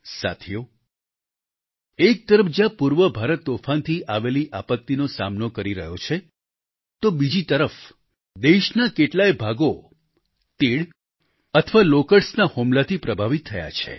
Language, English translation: Gujarati, on the one side where Eastern India is facing cyclonic calamity; on the other many parts of the country have been affected by locust attacks